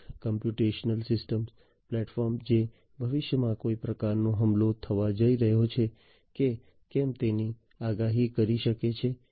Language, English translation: Gujarati, A computational intelligent system platform, which can predict if there is some kind of attack that is going to come in the future